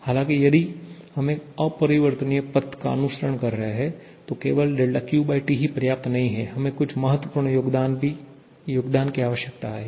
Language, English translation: Hindi, However, if we are following an irreversible path, then del Q/T alone is not sufficient rather, we need some other contribution